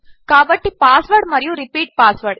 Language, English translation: Telugu, So pasword and repeat password